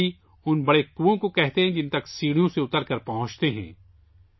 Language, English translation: Urdu, The Baolis are those big wells which are reached by descending stairs